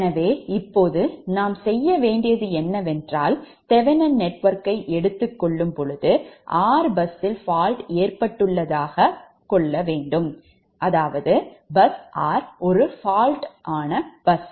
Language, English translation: Tamil, and that when we take the thevenin equivalent, when we take the thevenin equivalent of this network, suppose fault has occurred at bus r, bus r is a faulted bus, right